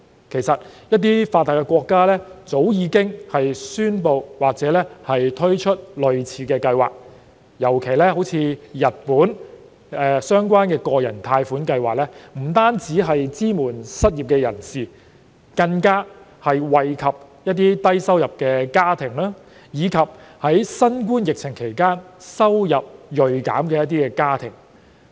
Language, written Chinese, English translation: Cantonese, 其實，一些發達國家早已宣布或推出類似計劃，例如日本的相關個人貸款計劃，不單支援失業人士，更惠及低收入家庭，以及在新冠疫情期間收入銳減的家庭。, In fact some developed countries have already announced or launched similar schemes eg . a relevant personal loan scheme introduced in Japan does not only support the unemployed but also benefit low - income families and households whose income dropped significantly during the COVID - 19 epidemic